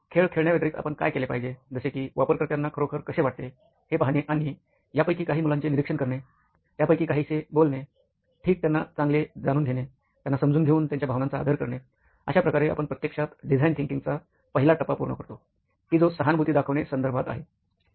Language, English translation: Marathi, Right, what you should also do in addition to playing the game and seeing how users feel is actually go out and observe some of these kids, talked to some of them, right, get to know them better, step into the shoes, so you can actually complete the first phase of design thinking, which is to empathize right, how does that sound